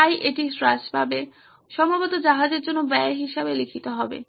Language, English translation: Bengali, So that would go down, probably written down as expenditure for the ship